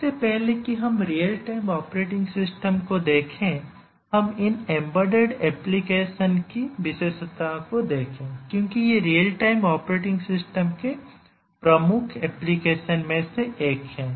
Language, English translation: Hindi, Before we look at the real time operating system let us just spend a minute or to look at the characteristics of these embedded applications because these are one of the major applications areas of real time operating systems